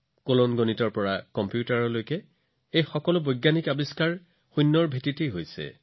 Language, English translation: Assamese, From Calculus to Computers all these scientific inventions are based on Zero